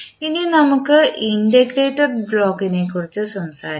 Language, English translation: Malayalam, Now, let us talk about the integrator block